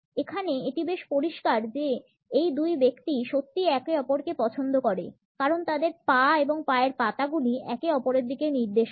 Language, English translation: Bengali, Here it is pretty clear these two people really like each other because their legs and feet are pointing towards each other